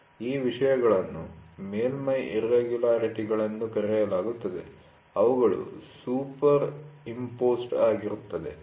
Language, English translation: Kannada, These things are called as surface irregularities, these surface irregularities are superimposed, ok